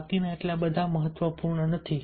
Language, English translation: Gujarati, others are not so important